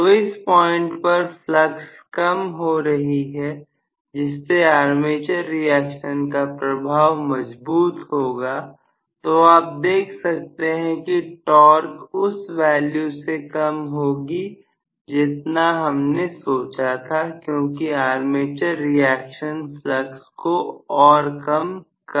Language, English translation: Hindi, So, at this point flux is decreased so armature reaction will show stronger effects, so, you may see that the torque actually decreases more than what we anticipated to decrease because armature reaction is going to decrease the flux further and further as it is